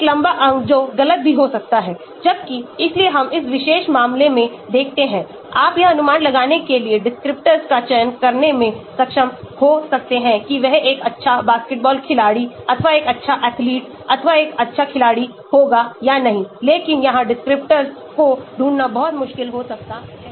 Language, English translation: Hindi, a long limbs that also can be wrong, whereas, so we see in this particular case, you may be able to select descriptors to predict whether he will be a good basketball player or a good athlete or a good sportsman but here it may be very difficult to find descriptors